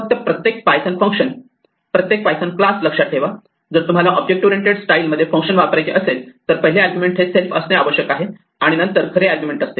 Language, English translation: Marathi, It just keep this in mind every python function, every python class, if you want to use a function in the object oriented style, the first argument must necessarily be self and then the real arguments